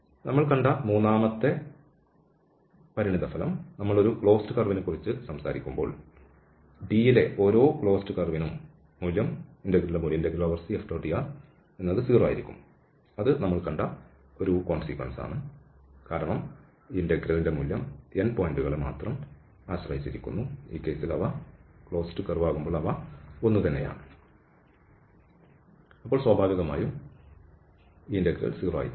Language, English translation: Malayalam, The third consequence we have seen that if we are talking about a close curve, then the value will be 0 for every clause curve in D that is just a consequence which we have seen, because this integral depends only on the end points and if they are same, then naturally this integral will become